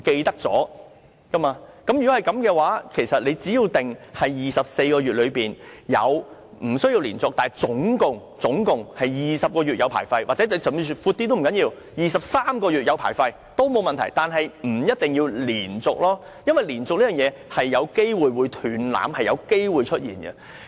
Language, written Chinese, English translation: Cantonese, 如果是這樣，其實只要訂明在24個月之內，無須連續但合共要有20個月領有牌照，甚至訂闊一些也不打緊 ，23 個月領有牌照也沒有問題，但不一定要連續，因為連續這件事有機會"斷纜"，是有機會出現的。, So it is actually better to specify that the vehicle to be scrapped must be licensed for 20 months with or without interruption within 24 months . And it is okay to make it 23 months . But the main thing is to do away with the without any interruption condition